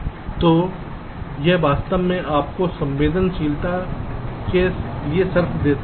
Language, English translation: Hindi, so this actually gives you the condition for sensitibility